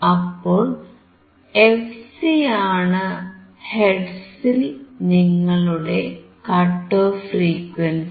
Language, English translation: Malayalam, Then this component fc is your cut off frequency in hertz